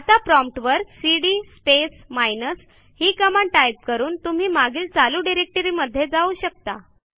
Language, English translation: Marathi, Now, you may type cd space minus at the prompt to go back to the previous working directory